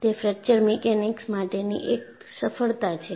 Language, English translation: Gujarati, So, that is the success of fracture mechanics